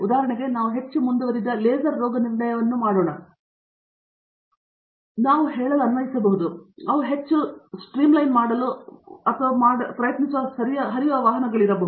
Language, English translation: Kannada, So, for example, we do very advanced laser diagnostics which can be applied to let’s say, flow pass automotive vehicles in trying to making them more streamline and so on